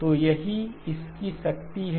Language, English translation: Hindi, So that is the power of this